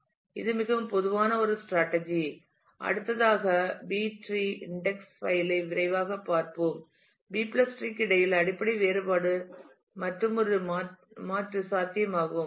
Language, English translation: Tamil, So, that is a very common strategy next let us just take a quick look into the B tree index file which is another alternate possibility the basic difference between a B + tree